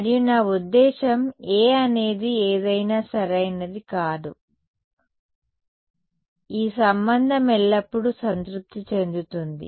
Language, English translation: Telugu, And I do not I mean A could be anything right this relation will always be satisfied